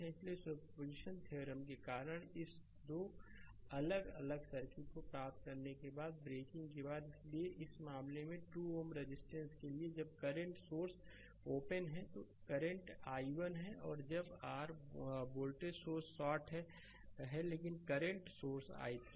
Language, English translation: Hindi, So, after breaking after getting this 2 different circuit because of superposition theorem, so now, in this case for 2 ohm resistance, when current source is open it is current i 1 and when your voltage source is shorted, but current source is there i 3